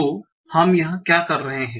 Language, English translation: Hindi, So, so what we are doing here